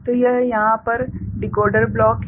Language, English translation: Hindi, So, this is the decoder block over here right